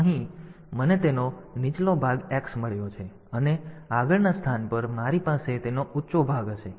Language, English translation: Gujarati, So, here I have got the X the lower part of it and at the next location I will have the higher part of it